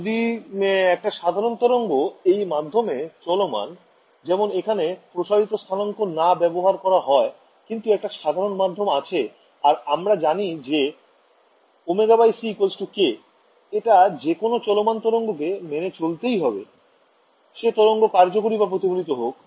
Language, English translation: Bengali, Right so, if I have a plane wave travelling in this medium for example, if you take not this stretched coordinates but, a normal medium rights over there I know that omega by c is equal to k, any wave travelling has to obey this, whether it is incident or reflected it does not matter